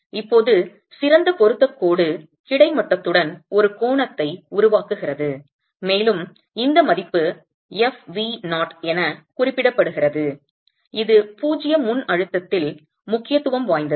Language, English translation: Tamil, Now, the best fit line has, it makes an angle with the horizontal and you have this value referred to as f v0 which is at zero pre compression which is of importance